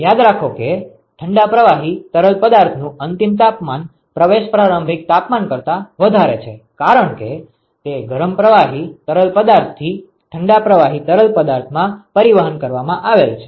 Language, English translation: Gujarati, So, remember that the outlet temperature of the cold fluid is higher than the inlet temperature because it is being transported from the hot fluid to the cold fluid